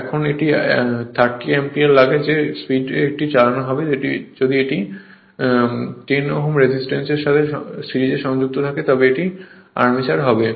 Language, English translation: Bengali, Now it takes 30 ampere find the speed at which it will run if 10 ohm resistance is connected in series with it is armature